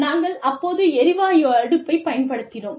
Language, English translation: Tamil, You know, we used to have, the gas oven, the gas stove